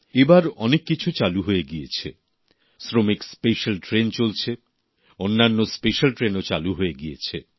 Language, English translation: Bengali, This time around much has resumedShramik special trains are operational; other special trains too have begun